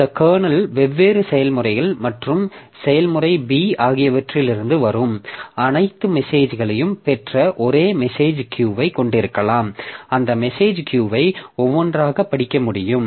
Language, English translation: Tamil, So, this kernel, so we can you can have a message Q that has got all the messages coming from different processes and process B can read that message Q one by one